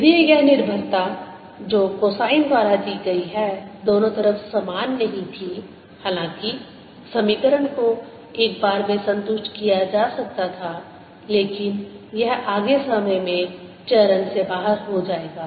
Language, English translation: Hindi, if this dependence, which is given by cosine whose, not the same on both sides although it could have the, the equation could have been satisfied once in a while, but it'll go out of phase further times